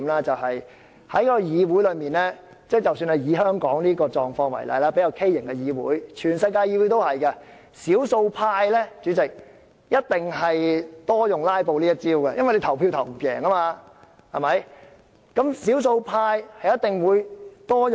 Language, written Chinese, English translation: Cantonese, 在一個議會中，不論是香港這種較畸形的議會，還是世界各地的議會，少數派一定較常用"拉布"這一招，因為他們在表決中無法取勝。, In a legislature be it the abnormal Council in Hong Kong or a parliament in any place of the world filibustering is definitely a common tactic employed by the minority as they can never win in a vote